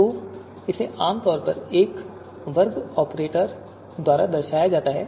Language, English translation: Hindi, So it is typically denoted by a square operator